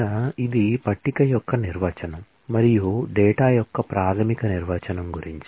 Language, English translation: Telugu, Now, that was about the definition of the table and the basic definition of the data